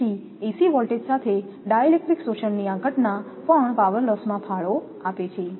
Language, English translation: Gujarati, So, with AC voltages this phenomenon of dielectric absorption also contributes to the power loss